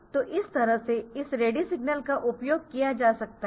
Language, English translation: Hindi, So, this way this ready signal can be utilize